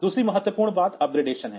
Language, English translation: Hindi, Second important thing is the up gradation